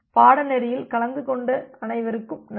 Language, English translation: Tamil, So, thank you all for attending the course